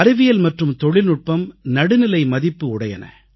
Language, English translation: Tamil, Science and Technology are value neutral